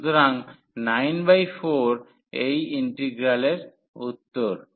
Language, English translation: Bengali, So, that is the answer of this integral